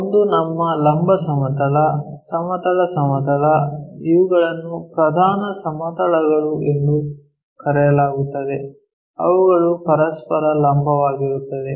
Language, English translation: Kannada, One is our vertical plane, horizontal plane, these are called principle planes, orthogonal to each other